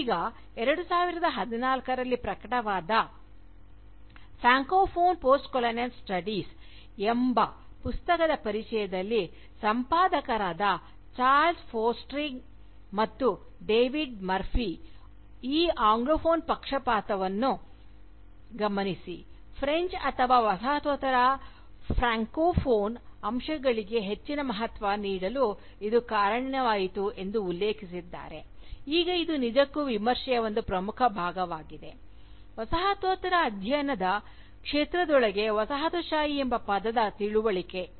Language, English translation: Kannada, Now, in their introduction to the Book titled, Francophone Postcolonial Studies, which was published in 2014, the editors Charles Forsdick, and David Murphy, notes this Anglophone bias, and mentions it as the very fact, which has led them, to highlight the French, or Francophone aspects of Postcolonialism